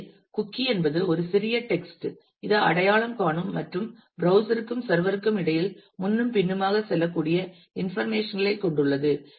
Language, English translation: Tamil, So, a cookie is a small piece of text which contain information which is identifying and which can go back and forth between the browser and the server